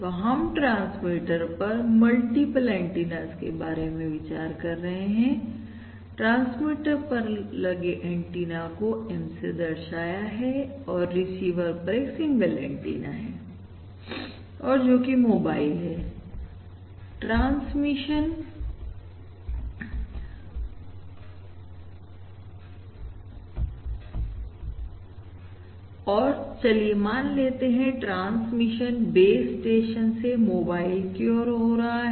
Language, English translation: Hindi, the number of antennas at the transmitter is denoted by M and we have a single antenna at the receiver, which is a mobile, and the transmission, let us say the transmission is from the base station to the mobile